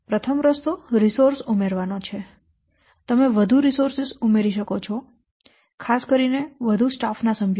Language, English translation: Gujarati, Number one, by adding resource you can add more resources, especially more staff members